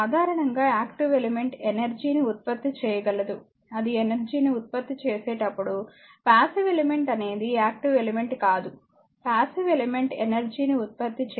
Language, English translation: Telugu, It does not hold for all time in general an active element is capable of generating energy, while passive element is not active element it will generate energy, but passive element it cannot generate